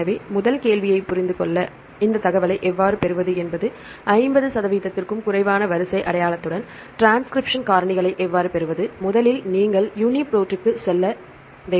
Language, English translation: Tamil, So, to understand the first question, how to obtain this information how to obtain the transcription factors with less than 50 percent sequence identity, first you have to go to UniProt, right